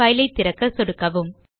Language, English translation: Tamil, Left click to open File